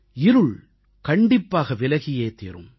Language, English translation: Tamil, The darkness shall be dispelled